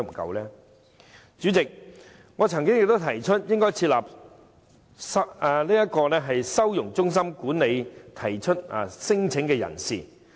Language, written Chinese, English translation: Cantonese, 代理主席，我曾提出設立收容中心管理提出聲請的人士。, Deputy President I have proposed the setting up of a holding centre for the management of non - refoulement claimants